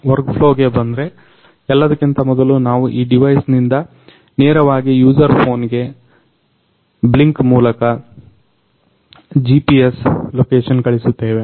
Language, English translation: Kannada, Coming to the workflow; first of all from this device, we are sending the GPS location to the user’s phone, directly to the phone using Blynk app